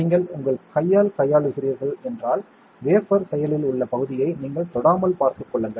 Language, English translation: Tamil, And if at all you are handling with your hand make sure that you do not touch the active area of the wafer